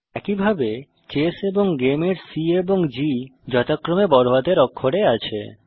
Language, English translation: Bengali, Similarly C and G of ChessGame respectively are in uppercase